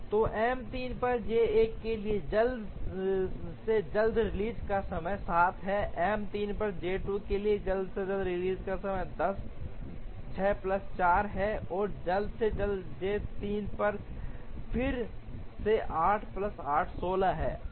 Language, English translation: Hindi, So, earliest release time for J 1 on M 3 is 7, earliest release time for J 2 on M 3 is 10, 6 plus 4, and earliest on J 3 again 8 plus 8 which is 16